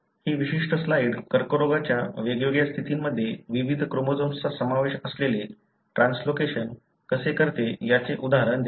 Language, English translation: Marathi, This particular slide gives an example as to how in different conditions of cancer you have translocations involving various chromosomes